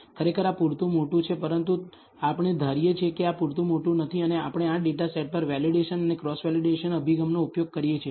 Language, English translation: Gujarati, Actually this is sufficiently large, but we are going to assume this is not large enough and we use the validation and cross validation approach on this data set